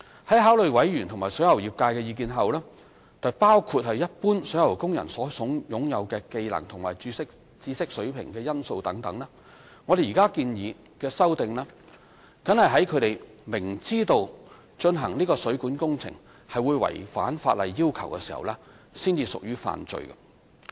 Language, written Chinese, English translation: Cantonese, 在考慮委員和水喉業界的意見，包括一般水喉工人所擁有的技能和知識水平等因素後，我們現建議修訂為，僅在他們明知進行該水管工程會違反法例要求時才屬犯罪。, Having considered the views of members and the plumbing industry including factors such as the skill and knowledge level of plumber workers in general we now propose that the defence be amended to the effect that plumbing workers will only be liable if they know that carrying out the plumbing works concerned will contravene the legal requirements